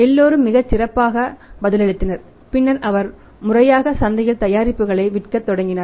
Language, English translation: Tamil, And everybody responded very well response was very good who got wonderful then he started formally selling the product in the market